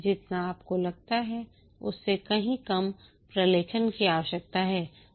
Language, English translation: Hindi, You need far less documentation than you think